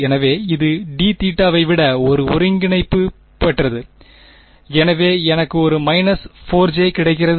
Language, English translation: Tamil, So, it is more like an integral over d theta, so I get a minus 4 j